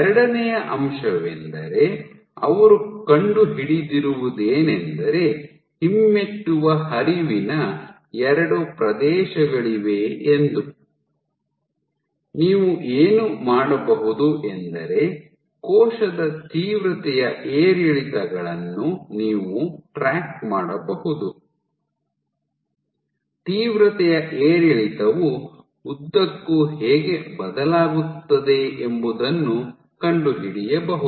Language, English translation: Kannada, So, you have two regions of retrograde flow, what you can also do is for the cell you can track, so, you can track the intensity fluctuations to find out how does the intensity fluctuation change along the length